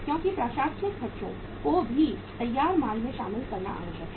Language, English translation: Hindi, Because administrative expenses are also required to be included in the finished goods